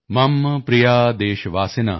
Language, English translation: Punjabi, Mam Priya: Deshvasin: